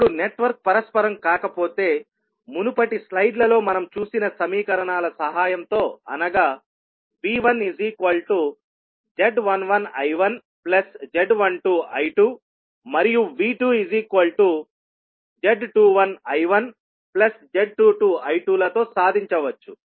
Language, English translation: Telugu, Now, if the network is not reciprocal is still with the help of the equations which we saw in the previous slides that is V1 is equal to Z11 I1 plus Z12 I2 and V2 is equal to Z21 I1 plus Z22 I2